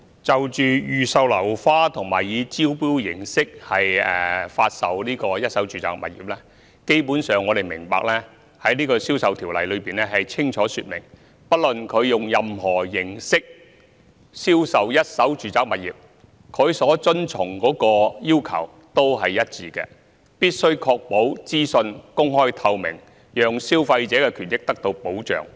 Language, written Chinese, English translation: Cantonese, 就預售樓花和以招標方式發售一手住宅物業，基本上，我們明白《條例》清楚說明，不論以任何形式銷售一手住宅物業，須遵循的要求都是一致的，必須確保資訊公開透明，讓消費者的權益得到保障。, On the pre - sale of uncompleted flats and the sale of first - hand residential properties by way of tender basically we understand that as stipulated clearly in the Ordinance regardless of the way of selling first - hand residential properties the requirements to be complied with are the same that is the openness and transparency of information must be ensured to afford protection to consumer rights